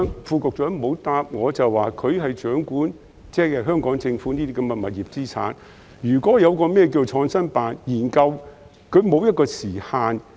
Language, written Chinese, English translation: Cantonese, 副局長沒有回答，他負責掌管香港政府的物業資產，創新辦的研究是否沒有時限？, The Under Secretary who is tasked to oversee the property assets of the Hong Kong Government has not answered my question . Is there any time limit for PICOs study?